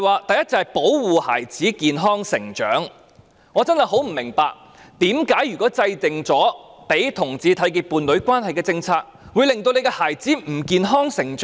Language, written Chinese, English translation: Cantonese, 第一，是"保護孩子健康成長"，我真的很不明白，為甚麼制訂讓同志締結伴侶關係的政策，會令她的孩子不能健康成長？, First regarding the part ensuring childrens healthy development I cannot understand why formulating policies for homosexual couples to enter into a union will prevent children from healthy development